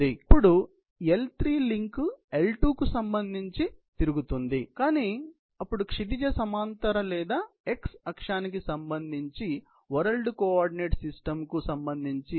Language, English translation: Telugu, Then, let us say the link L3 is rotating with respective to the L2, but then with respect to the world coordinate system that is with respect to the horizontal or x axis